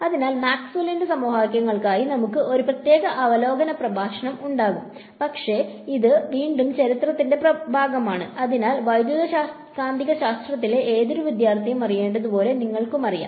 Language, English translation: Malayalam, So, we will have a separate review lecture for the equations of Maxwell, but this is again part of history, so which you know as any student of electromagnetics should know